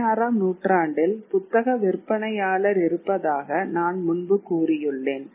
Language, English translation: Tamil, Now, by about the 16th century, now I did talk about earlier that you had the bookseller